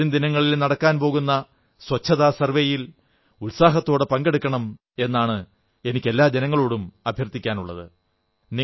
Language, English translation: Malayalam, And I appeal to every citizen to actively participate in the Cleanliness Survey to be undertaken in the coming days